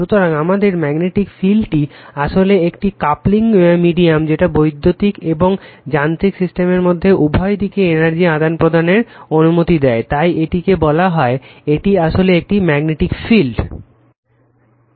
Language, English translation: Bengali, So, and our magnetic field actually is a coupling medium allowing interchange of energy in either direction between electrical and mechanical system right, so that is your what you call that at your it is what a actually magnetic field